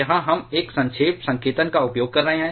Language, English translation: Hindi, Here we are using one shorthand notation